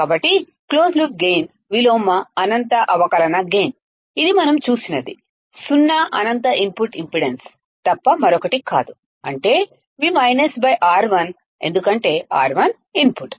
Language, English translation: Telugu, So, this is what the closed loop gain inverse infinite differential gain we have seen it is nothing but zero infinite input impedance, which is, Vminus divided by R1 right, because R 1 is the input